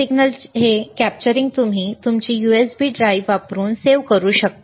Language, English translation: Marathi, This capturing of signal you can save using your USB drive, you are USB port, right